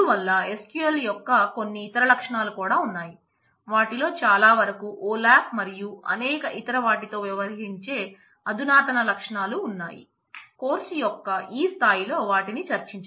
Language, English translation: Telugu, So, there is the quite a few other features of SQL as well majority of them are advanced features dealing with olap and several others, which I chose to skip at this level of the course